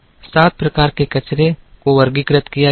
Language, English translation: Hindi, Seven types of wastes were classified